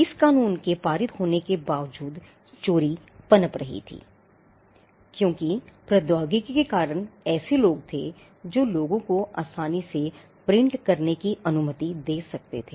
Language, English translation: Hindi, Despite passing this law piracy flourished there were instances because of the technology that allowed people to print easily piracy flourished